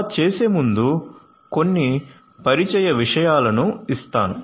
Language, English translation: Telugu, So, let me give you some points of introduction